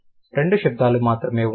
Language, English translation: Telugu, There are only two sounds